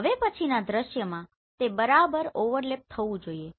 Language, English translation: Gujarati, Now in the next scene it should have overlap right